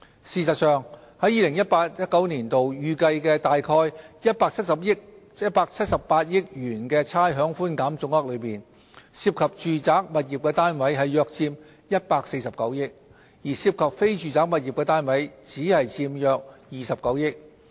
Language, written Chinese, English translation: Cantonese, 事實上，在 2018-2019 年度預計約178億元的差餉寬減總額中，涉及住宅物業單位的佔約149億元，而涉及非住宅物業單位的只佔約29億元。, In fact of the expected total amount of rates concession of some 17.8 billion in 2018 - 2019 some 14.9 billion involve residential properties and only some 2.9 billion involve non - residential properties